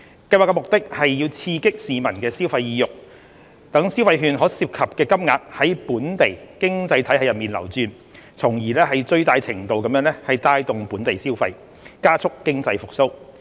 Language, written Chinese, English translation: Cantonese, 計劃的目的是刺激市民消費意欲，讓消費券所涉及的金額在本地經濟體系內流轉，從而最大程度帶動本地消費，加速經濟復蘇。, The Scheme aims to stimulate consumer sentiment enabling the funding under the consumption vouchers to circulate in the local economy so as to boost local consumption to the fullest extent and accelerate economic recovery